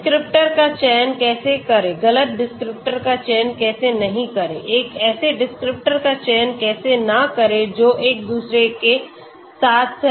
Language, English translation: Hindi, How to select correct descriptor, how to not select the wrong descriptors, how to not select a descriptors which are correlated with each other so all these need to considered and there are many approaches